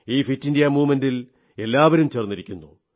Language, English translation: Malayalam, Everybody is now getting connected with this Fit India Campaign